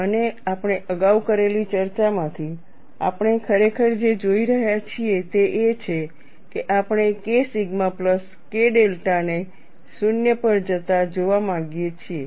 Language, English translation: Gujarati, And from the discussion we have done earlier, what we are really looking at is, we want to see K sigma plus K delta should go to 0